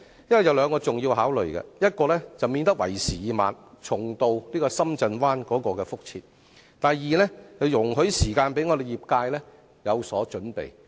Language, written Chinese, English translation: Cantonese, 這牽涉兩項重要考慮，一是免得為時已晚，重蹈深圳灣的覆轍；二是讓業界有時間作好準備。, There are two important considerations one is to avoid repeating the same mistake of Shenzhen Bay Port in making belated arrangement and the other is to give ample time for the industry to prepare for the change